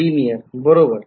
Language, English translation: Marathi, It is linear